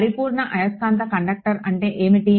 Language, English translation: Telugu, What is a perfect magnetic conductor right